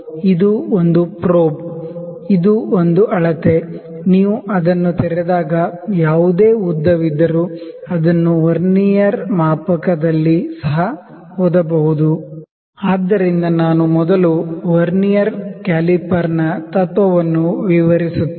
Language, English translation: Kannada, This is a probe, this is a scale, if you open it whatever the length it is getting opened that is the length that length can also be read on the Vernier scale